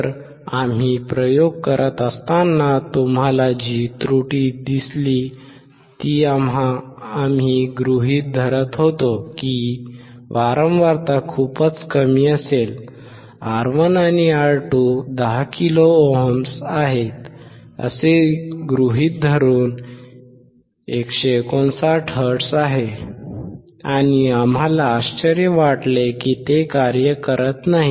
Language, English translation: Marathi, So, the error that you see when we were performing the experiment that we were assuming that the frequency would be much lower, which is 159 hertz assuming that R1 and R2 are 10 kilo ohms, and we were surprised that it was not working